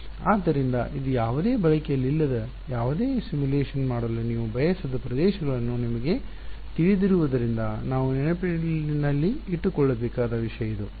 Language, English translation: Kannada, So, this is a something that we should keep in mind for you know regions where you do not want to do any simulation where there is no use right